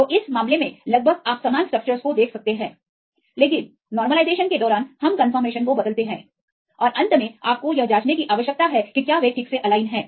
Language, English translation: Hindi, So, in this case almost you can see the similar structures, but during the minimization, we change the confirmation and finally, you need to check whether they are properly aligned